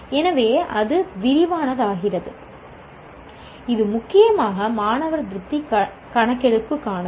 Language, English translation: Tamil, It is mainly for student satisfaction survey